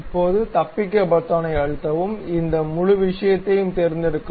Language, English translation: Tamil, Now, press escape select this entire thing